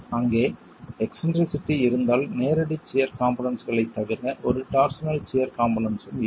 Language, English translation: Tamil, If there is eccentricity then apart from the direct shear components there is going to be a torsional shear component